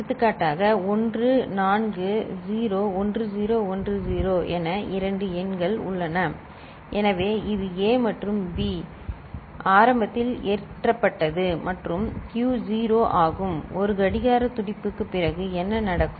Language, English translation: Tamil, For example, we have two numbers say one, four 0 1010 so, this is A and this is B initially loaded and Q is 0 and when after 1 clock pulse what will happen